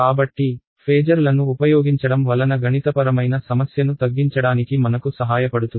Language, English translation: Telugu, So, this using phasors helps us to reduce the mathematical complication right